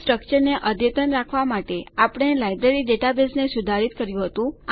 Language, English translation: Gujarati, So, we modified the Library database to make the structure up to date